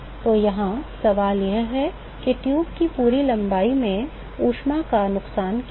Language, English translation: Hindi, So, here the question is, what is the heat loss over whole length of the tube